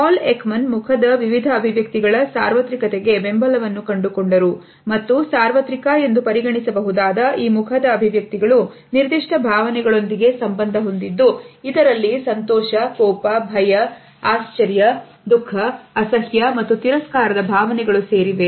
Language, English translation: Kannada, Paul Ekman found support for the universality of a variety of facial expressions and found that these facial expressions which can be considered as universal are tied to particular emotions which include the emotions of joy, anger, fear, surprise, sadness, disgust and contempt